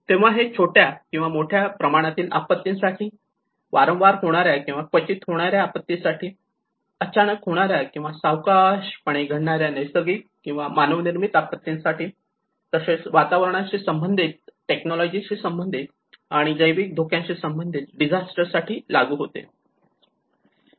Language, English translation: Marathi, So this will apply to the risk of small scale and large scale, frequent and infrequent, sudden and slow onset disaster caused by natural and man made hazards as well as related environmental, technological and biological hazards and risks